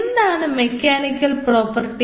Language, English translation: Malayalam, what is meant by the mechanical property